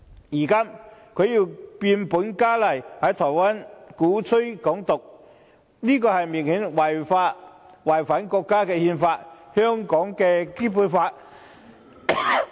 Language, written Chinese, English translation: Cantonese, 如今，他又變本加厲，在台灣鼓吹"港獨"，這明顯是違反國家的憲法及香港的《基本法》。, Now he has gone further to advocate Hong Kong independence in Taiwan in glaring violation of the national Constitution and the Basic Law of Hong Kong